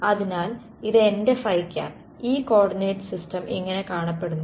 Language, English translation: Malayalam, So, this is my phi hat that is what this coordinate system looks like that